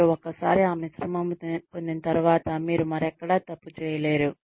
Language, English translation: Telugu, Once you have got, that mix right, you can never go wrong, anywhere else